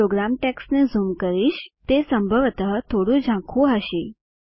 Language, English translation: Gujarati, Let me zoom the program text it may possibly be a little blurred